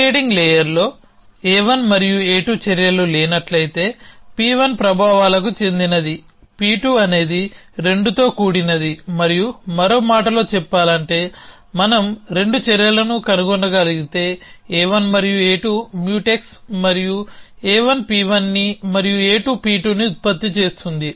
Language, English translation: Telugu, If there is a no actions a 1 and a 2 in the presiding layer such that P 1 belongs to effects a P 2 belongs to of a with 2 and, in other words if we can find 2 actions a 1 and a 2 which are not Mutex and a 1 is producing P 1 and a 2 producing P 2